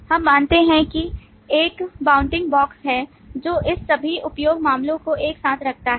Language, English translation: Hindi, We observe that there is a bounding box that puts all this use cases together